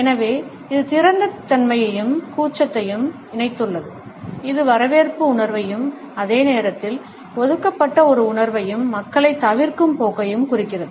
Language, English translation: Tamil, So, it has encapsulated openness as well as shyness, it suggests a sense of welcome and at the same time a sense of being reserved and a tendency to avoid people